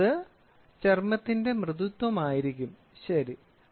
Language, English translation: Malayalam, Next one is going to be the softness of a skin, ok